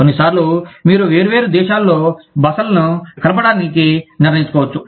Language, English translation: Telugu, Sometimes, you may decide, to combine the stays, in different countries